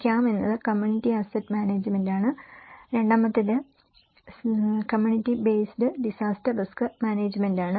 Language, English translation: Malayalam, CAM is community asset management and the second one is CBD community based disaster risk management